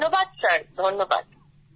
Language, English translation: Bengali, Thank you sir, thank you sir